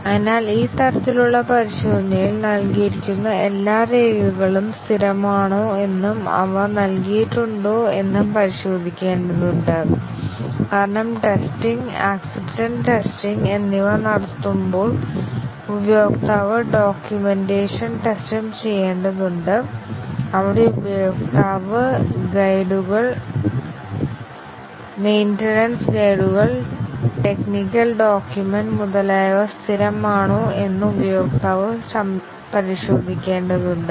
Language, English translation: Malayalam, So, here in this type of test we just need to check whether all the provided documents are consistent and they have been provided; because the user when doing testing, acceptance testing, will also have to do the documentation test, where the user need to check whether the user guides, maintenance guides, technical documents, etcetera, they have been provided are consistent